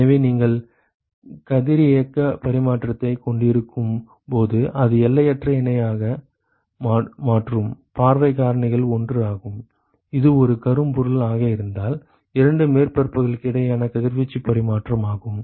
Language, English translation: Tamil, So, remember that when you have radiation exchange which is the infinitely parallel and, the view factors are 1, this is the radiation exchange between the two surfaces, if it were to be a black body